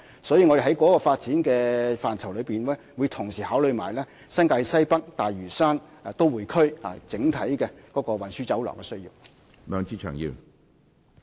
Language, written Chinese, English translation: Cantonese, 所以，在這個發展範疇中，我們會同時考慮新界西北和大嶼山都會區的整體運輸需要。, As a result in this aspect of development we will consider as well the overall transport needs in NWNT and the metropolitan area of Lantau Island